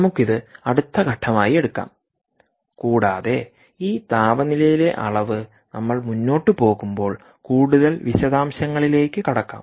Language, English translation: Malayalam, lets take this up as a next step and understand this ah uh, this measurement of temperature, in a lot more detail as we go along